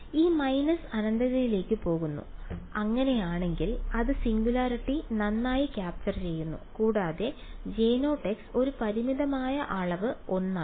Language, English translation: Malayalam, It goes to minus infinity and if so it is capturing the singularity well and J 0 as a finite quantity 1 ok